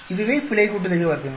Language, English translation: Tamil, That is the error sum of squares